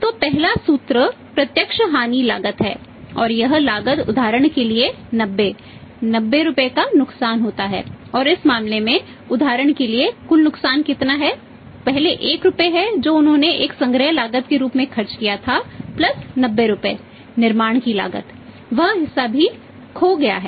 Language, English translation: Hindi, So, first formula direct loss is the cost and that cost you say for example 90, 90 rupees loss is there and in this case say for example the total loss is how much first is that is 1 rupee which they spent as a collection cost plus 90 Rupees the cost which is adding to manufactured that part that is also lost